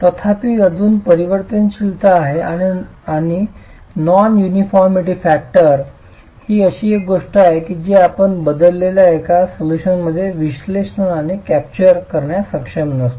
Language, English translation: Marathi, However, there is still variability and the non uniformity factor is something that is accounting for the variability that we are not able to capture analytically within the, within a close form solution itself